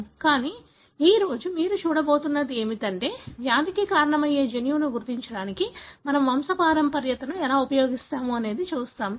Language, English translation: Telugu, But, what you are going to see today is how we use pedigree to identify the gene that causes the disease